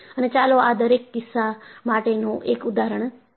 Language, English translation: Gujarati, And, let us see an example, for each of these cases